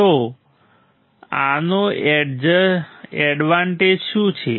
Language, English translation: Gujarati, So, what is advantage of this